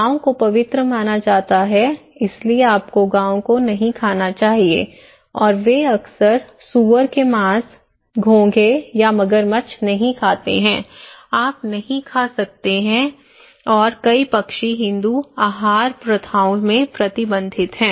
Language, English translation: Hindi, Cows are considered to be sacred thatís why you should not eat cow and we and they often avoid the pork, no snails or crocodiles, you cannot eat and numerous birds are restricted in Hindu dietary practices